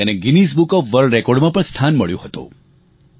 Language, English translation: Gujarati, This effort also found a mention in the Guinness book of World Records